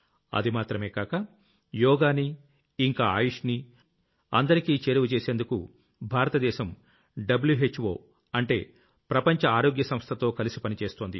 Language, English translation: Telugu, Apart from this, India is working closely with WHO or World Health Organization to popularize Yoga and AYUSH